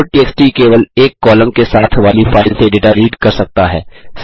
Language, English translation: Hindi, loadtxt can read data from a file with one column only